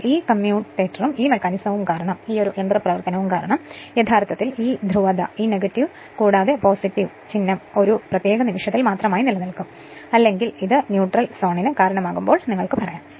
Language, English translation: Malayalam, But due to this commuator and this mechanism actually this your polarity this minus and plus sign will remain as it is right only at a your at the particular instant or you can say that when it is sub causes the neutral zone right